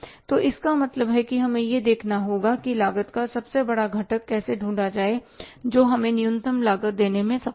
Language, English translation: Hindi, So it means we have to see that we have to hit at the biggest component of the cost which is able to give us the minimum cost